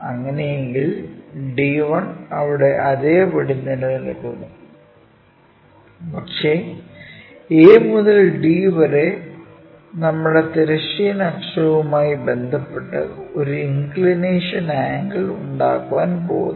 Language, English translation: Malayalam, If that is the case, d 1 remains same there, but a a to d is going to make an inclination angle with respect to our horizontal axis